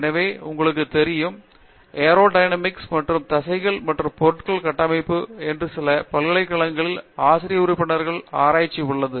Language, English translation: Tamil, So, there is lot of aerodynamics you know and structures of muscles and stuff that there are faculty members in some universities that do those things